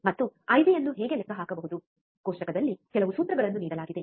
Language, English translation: Kannada, And how can calculate the I B, there were some formulas given in a table